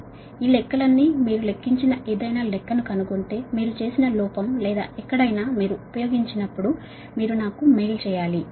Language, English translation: Telugu, if you find any calculation, anything you calculated, error or anywhere you should, when you use, you should mail to me